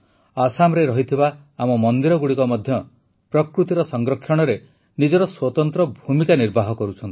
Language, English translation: Odia, our temples in Assam are also playing a unique role in the protection of nature